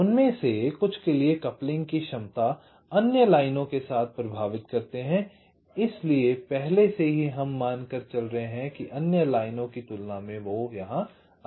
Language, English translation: Hindi, the capacity coupling affect with others lines we already running there can be more as compare to the other lines